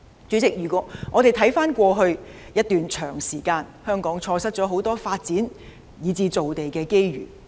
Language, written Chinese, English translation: Cantonese, 主席，回望過去一段長時間，香港錯失了很多發展造地的機遇。, President looking back at the past Hong Kong has missed many opportunities of land development over a long period of time